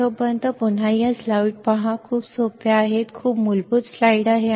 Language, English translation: Marathi, Till then what you do is you again see this slides these are very easy, very, very basic slides